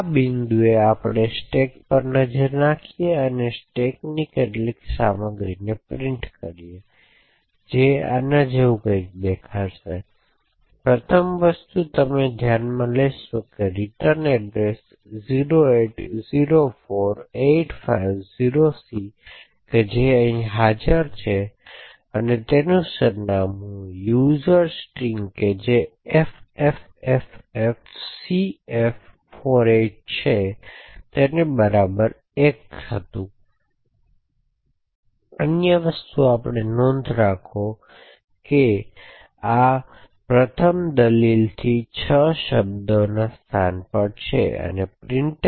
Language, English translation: Gujarati, At this point we will look at the stack and print the contents of some of the contents of the stack which would look something like this, so of the first thing you would note is that the return address 0804850C is present over here and the address of user string which is ffffcf48 is 1 before that ok and other thing we note is that at a location 6 words from this first argument to printf at an offset of 6 words from the first argument to printf is this user string 0804a028